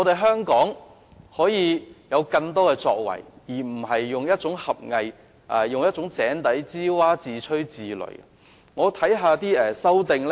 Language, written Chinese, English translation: Cantonese, 香港是可以有更多作為的，大家不應以狹隘、井底之蛙、自吹自擂的態度看待此事。, Hong Kong can achieve more and Members should not look at this matter with a narrow - minded and self - boasting attitude like the frog in the well which knows nothing about the great ocean